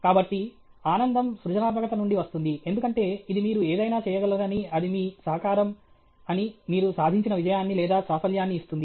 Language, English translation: Telugu, So, the happiness comes out of creativity, because it gives you a sense of achievement or accomplishment that you are able to do something that it is your contribution